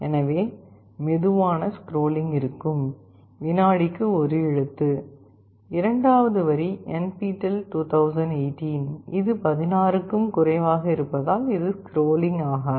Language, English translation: Tamil, So, there will there will be slow scrolling, 1 character per second, second line NPTEL 2018, this is fixed, less than 16 this will not scroll